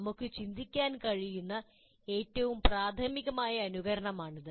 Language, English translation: Malayalam, This is the most, what you call, elementary type of simulation that we can think of